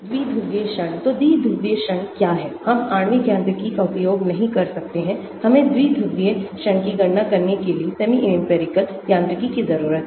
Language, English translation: Hindi, Dipole moment , so what is the dipole moment, we cannot use molecular mechanics, we need to have semi empirical mechanics to calculate dipole moment